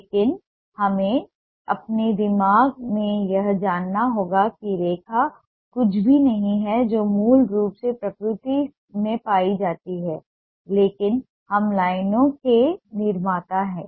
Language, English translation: Hindi, but we need to know in our mind that line is nothing, that is ah basically found in nature, but we are the creators of lines